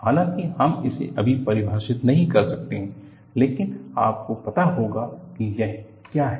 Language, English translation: Hindi, Although, we may not define it now, you will know what it is